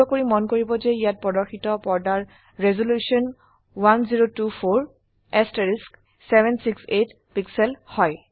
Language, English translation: Assamese, Please note that the screen resolution shown here is 1024 by 768 pixels